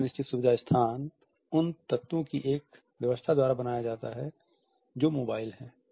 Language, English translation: Hindi, The semi fixed feature space is created by an arrangement of those elements which are mobile